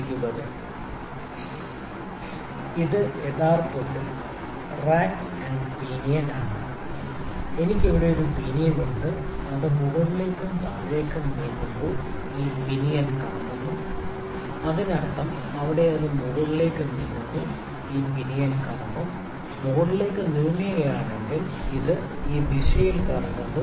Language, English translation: Malayalam, And it is actually a rack and pinion, I have a pinion here, when it moves up and upward down this pinion rotates this pinion rotates that means, there it is moving in upward direction this pinion will rotate, if it is to moving upward direction it is rotating this direction